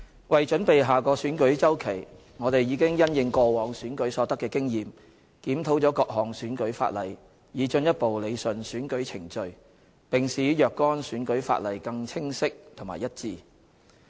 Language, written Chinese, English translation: Cantonese, 為準備下個選舉周期，我們已因應過往選舉所得的經驗，檢討了各項選舉法例，以進一步理順選舉程序，並使若干選舉法例更加清晰和一致。, To prepare for the next cycle of elections we have reviewed various electoral legislation in the light of the experience gained from previous elections with a view to rationalizing the electoral procedures and improving the clarity and consistency of certain electoral legislation